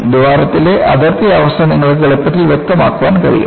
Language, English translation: Malayalam, You can easily specify the boundary condition on the hole